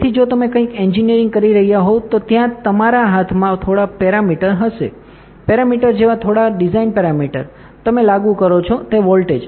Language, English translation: Gujarati, So, if you are engineering something there will be few parameters that are in your hands right, few design parameters like the dimensions, the voltage that you apply